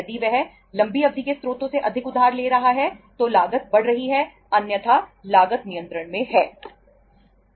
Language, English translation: Hindi, If he is borrowing more from the long term sources increasing the cost otherwise the cost is under control